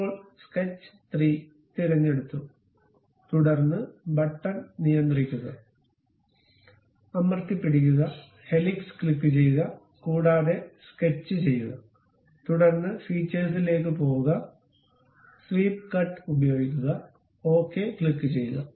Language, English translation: Malayalam, Now, sketch 3 is selected, then control button, hold it, click helix, and also sketch, then go to features, use swept cut, click ok